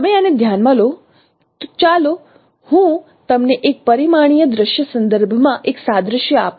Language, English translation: Gujarati, You consider so I let me give you an analogy with respect to and one dimensional scene